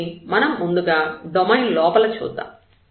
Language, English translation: Telugu, So, let us move to inside the domain first